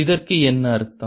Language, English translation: Tamil, what does it means